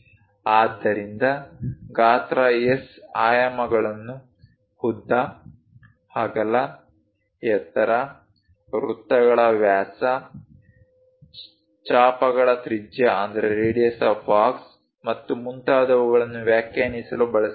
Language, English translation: Kannada, So, size S dimensions are used to define length, width, height, diameter of circles, radius of arcs and so on, so things